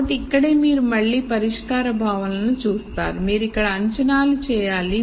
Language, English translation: Telugu, So, this is where you then look at solution conceptualization again you have to make assumptions here